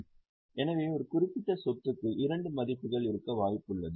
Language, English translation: Tamil, So, there is a possibility that a particular asset can have two values